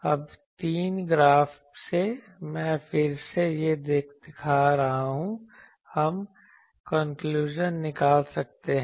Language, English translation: Hindi, Now, from these three graphs, I am again showing these, we can draw several conclusions